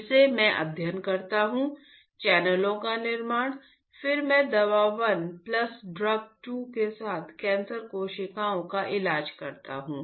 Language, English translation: Hindi, Again, I study the formation of the channels, then I treat the cancer cell with drug 1 plus drug 2